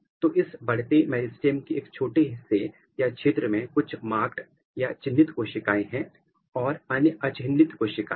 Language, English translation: Hindi, So, one small portion or sector of this growing meristem has certain marked cells and others they are unmarked cells